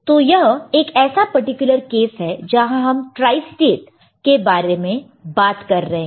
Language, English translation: Hindi, So, this is one particular case where you are talking about something called tristate